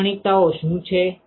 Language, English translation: Gujarati, What are the characteristics